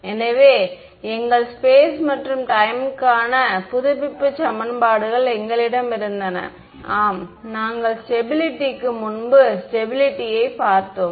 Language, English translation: Tamil, So, we had our update equations we knew how to step it in space and time, we looked at stability and before stability well yeah